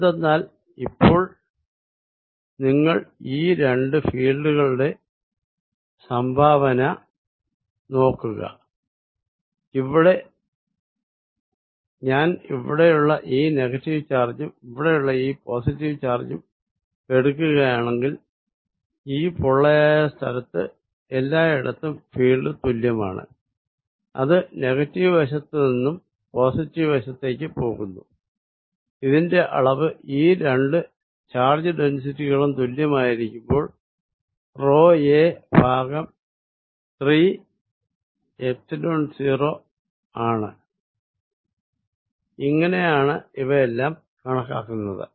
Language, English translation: Malayalam, Because, now you look at this contribution of the two fields, if I take this negative charge here and the positive charge here in this hollow region field is the same everywhere it is pointing from negative to positive side it’s magnitude is rho a divide by 3 Epsilon 0 provided these two densities are the same that is how everything worked out